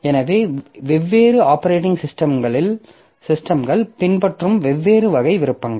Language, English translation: Tamil, So, different operating systems they will follow different type of different type of options